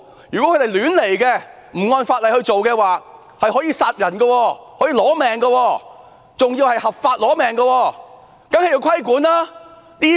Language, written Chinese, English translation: Cantonese, 如果他們亂來，不按法例行事，可以殺人取命，還是合法殺人，因此當然要規管。, If they recklessly defy the law when on duty people may get killed under the disguise of lawful killing . A code of conduct is thus needed to regulate police conduct